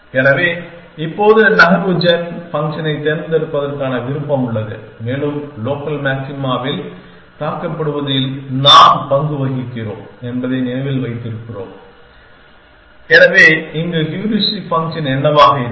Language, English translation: Tamil, So, we have now the option of choosing move gen function on and we on the keeping mind that we role on the gets struck in the local maxima, so what will be the heuristic function here